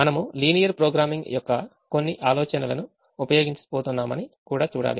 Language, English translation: Telugu, we also have to see that: are we going to use some ideas of linear programming